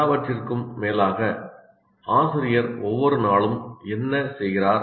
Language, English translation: Tamil, After all, what is the teacher doing every day